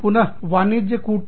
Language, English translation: Hindi, Again, commercial diplomacy